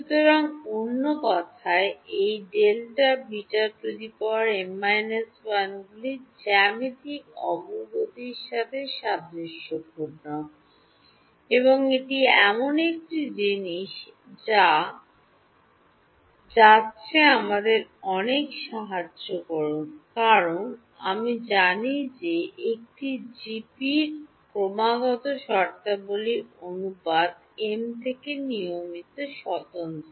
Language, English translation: Bengali, So, in other words these delta beta m’s resemble a geometric progression and that is a thing that is going to help us a lot because, we know that the ratio of consecutive terms of a GP is constant right independent of m